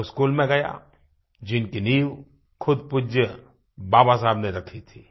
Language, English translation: Hindi, I went to the school, the foundation of which had been laid by none other than respected Baba Saheb himself